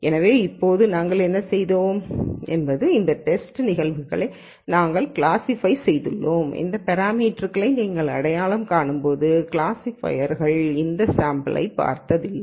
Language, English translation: Tamil, So, now, what we have done is we have classified these test cases, which the classifier did not see while you were identifying these parameters